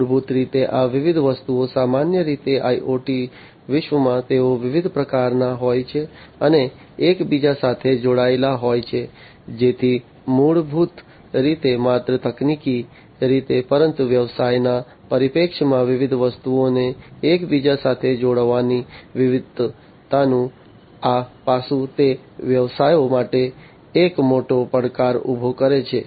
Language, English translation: Gujarati, So, basically these different objects typically in the IoT world, they are you know they are of different types and they are interconnected together, so that basically also poses not only technically, but from a business perspective, this aspect of diversity of interconnecting different objects, it poses a huge challenge for the businesses